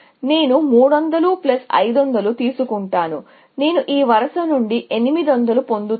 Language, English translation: Telugu, I will take 300 plus 500; I will get 800 from this row